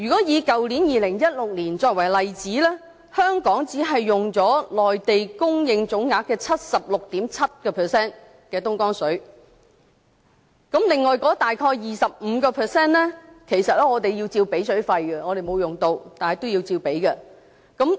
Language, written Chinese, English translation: Cantonese, 以去年2016年作為例子，香港只用了內地供應東江水的總額的 76.7%， 另外大約的 25%， 其實我們同樣要支付水費，即使我們沒有用，但也要支付費用。, For last year 2016 Hong Kong only consumed 76.7 % of the overall quantity of Dongjiang water purchased from the Mainland . We had to pay for the remaining some 25 % as well . Even though we had not used it we were still charged for it